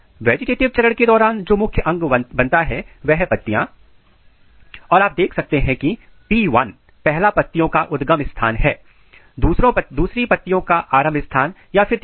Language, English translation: Hindi, During vegetative phase the major organ which forms is the leaf you can see P 1 is the first leaf primordia, second leaf primordia, third leaf primordia